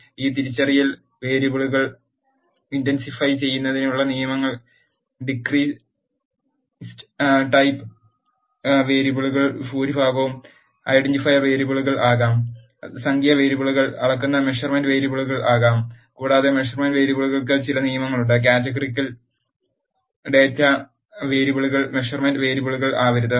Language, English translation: Malayalam, The rules for indentifying this identifying variables are, most of the discrete type variables can be identifier variables, measure the numeric variables can be measurement variables and there are certain rules for the measurement variables such as, categorical and date variables cannot be measurement variables